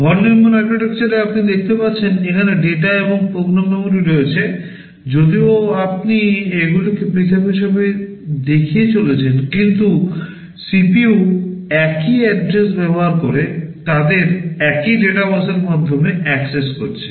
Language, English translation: Bengali, In a Von Neumann architecture as you can see here are the data and program memory; although you are showing them as separate, but CPU is accessing them over the same data bus using the same address